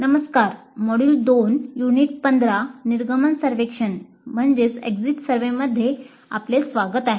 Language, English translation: Marathi, Welcome to module 2, unit 15 on course exit survey